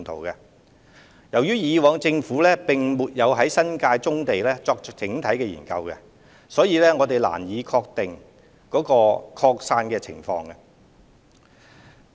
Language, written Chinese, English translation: Cantonese, 由於政府過往並沒有就新界棕地作整體研究，因此難以確定其擴散情況。, As a comprehensive study on the same has never been conducted previously by the Government it is hard to ascertain the gravity of the problem of scattered distribution of brownfield sites